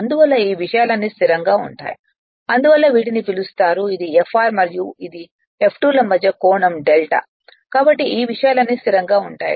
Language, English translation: Telugu, And so all these things will be stationary because you are what you call therefore, this at this is the angle delta between Fr and F2 dash right so all all these things will remain stationery